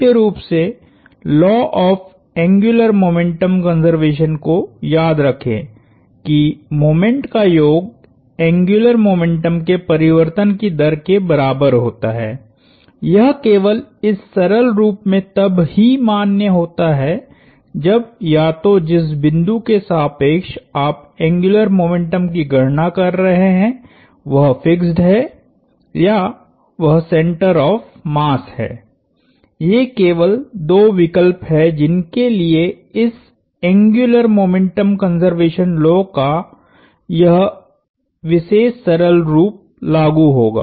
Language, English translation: Hindi, Because, remember our law of angular momentum conservation that the sum of moments equals rate of change of angular momentum is only valid in that simple form when either the point about which you are computing the angular momentum is fixed or is the center of mass, those are the only two choices for which that particular simple form of that angular momentum conservation law will apply